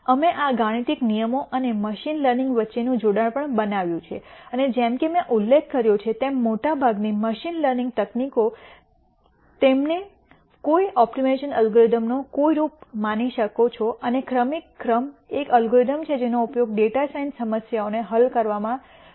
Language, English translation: Gujarati, We also made the connection between these algorithms and machine learning and as I mentioned before most of the machine learning tech niques you can think of them as some form of an optimization algorithm and the gradient descent is one algorithm which is used quite a bit in solving data science problems